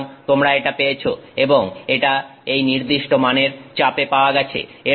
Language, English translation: Bengali, And this is at this particular value of pressure